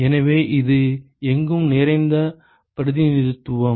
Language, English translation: Tamil, So, this is a ubiquitous representation